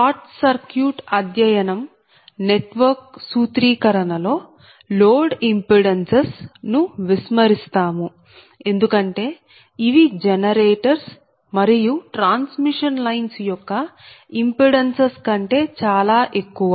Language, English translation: Telugu, however, in formulating short circuit study network, right, your short circuit study the load impedances are ignored because these are very much larger than the impedances of the generator and transmission lines